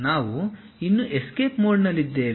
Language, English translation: Kannada, We are still in escape mode